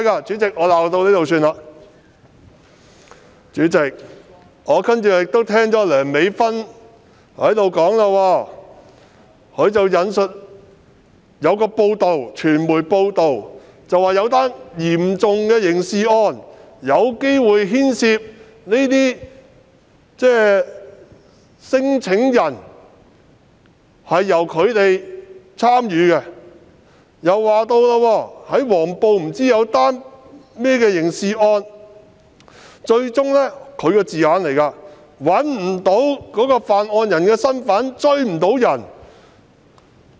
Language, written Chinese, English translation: Cantonese, 主席，我接着又聽到梁美芬議員引述一篇傳媒報道，指出在一宗嚴重刑事案件中，可能有聲請人參與其事，又說黃埔曾發生一宗刑事案件，據她所說最終不能確定犯案人身份，無法追查。, President I then heard a media report cited by Dr Priscilla LEUNG that certain claimants might have been involved in a serious criminal case which occurred in Whampoa area the identity of the offenders concerned could not be ascertained in the end and the case according to her was not pursuable as a result